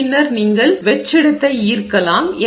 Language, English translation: Tamil, And then you draw vacuum